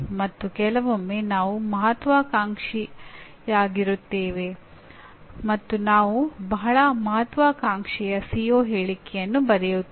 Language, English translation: Kannada, And sometimes we tend to be over ambitious and we may be writing very ambitious CO statement